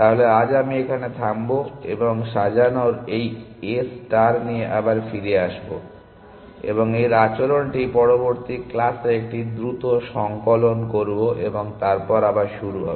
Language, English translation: Bengali, So, I will stop here, and will sort of come back to this A star and it is behavior will do a quick recap in the next class, and then will start again